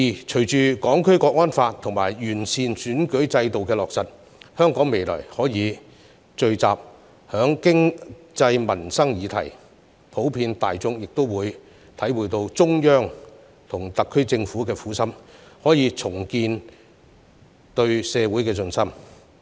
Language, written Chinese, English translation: Cantonese, 隨着《香港國安法》及完善選舉制度的落實，香港未來可以聚焦在經濟民生議題，普遍大眾亦會體會到中央和特區政府的苦心，可以重建對社會的信心。, With the implementation of the National Security Law and the improved electoral system Hong Kong will be able to focus on economic and livelihood issues in the future whereas the general public will understand the painstaking efforts of the Central Authorities and the SAR Government and rebuild their confidence in society